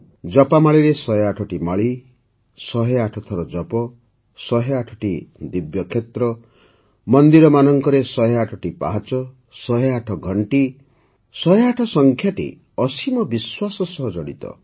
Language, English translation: Odia, 108 beads in a rosary, chanting 108 times, 108 divine sites, 108 stairs in temples, 108 bells, this number 108 is associated with immense faith